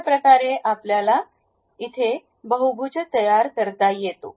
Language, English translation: Marathi, This is the way we construct any polygon